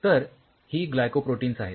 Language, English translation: Marathi, So, these are Glycol Protein